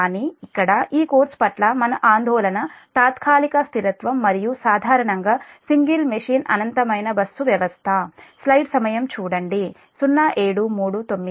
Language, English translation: Telugu, about our object, our concern for this course will be transient stability and generally single machine, infinite bus system